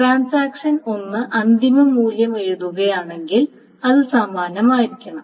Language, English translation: Malayalam, If transaction 1 writes the final value, then it must be that the same transaction writes